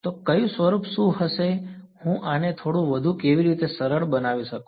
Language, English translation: Gujarati, So, what form will what how can I simplify this a little bit more